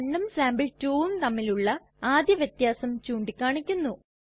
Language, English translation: Malayalam, As we can see the first difference between the two files sample1 and sample2 is pointed out